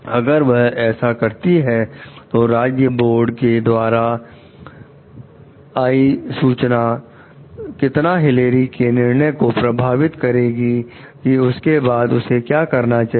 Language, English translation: Hindi, If so, how ought the information from the state board affect Hilary s decision about what to do after that